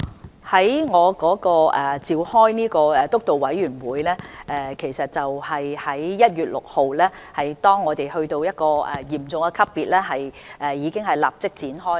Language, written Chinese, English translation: Cantonese, 我主持的督導委員會會議是在1月6日，當香港已啟動嚴重級別時立即召開的。, The meeting of the Steering Committee chaired by me was immediately convened on 6 January when the Serious Response Level was activated in Hong Kong